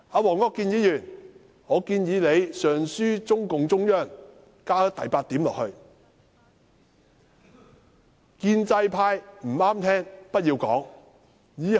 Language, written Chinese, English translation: Cantonese, 黃國健議員，我建議你上書中共中央，加上第八點，就是"建制派不中聽的言論不要講"。, Mr WONG Kwok - kin I suggest you write to the Central Committee of CPC to add point number eight which will be anything unpleasant to the ears of the pro - establishment camp